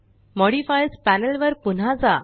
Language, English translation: Marathi, Go back to the Modifiers Panel